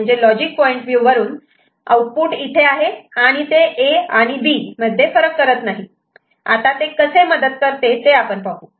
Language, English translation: Marathi, What I mean from the logic point of view output over here, they that cannot distinguish between A and B, now how does it help